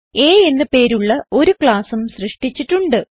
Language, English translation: Malayalam, I also have a created a class named A